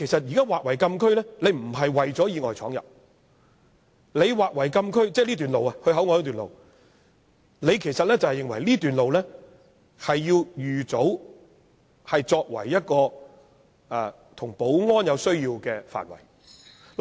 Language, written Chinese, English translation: Cantonese, 現在把前往口岸的這段路劃為禁區，並非為了防止意外闖入，其實是認為這段路要預早劃為有保安需要的範圍。, Such a delineation is actually not for the prevention of unintentional entry of vehicles but rather for extending the closed area in advance for security needs